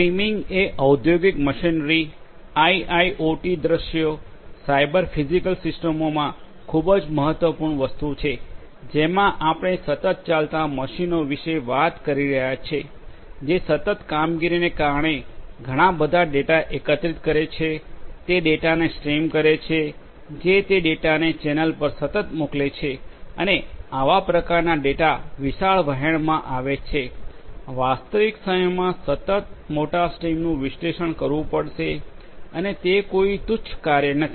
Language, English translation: Gujarati, Streaming is a very important thing in industrial machinery, IIoT scenarios, Cyber Physical Systems we are talking about machines which run continuously; which because of the continuous operations collect lot of data, stream those data, stream those data that will send those data continuously over the channel and such kind of data coming in huge streams, large streams continuously in real time will have to be analyzed and that is not a very trivial task